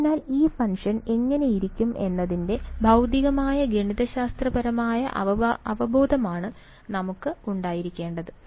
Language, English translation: Malayalam, So, we should have a physical I mean a mathematical intuition of what this function looks like right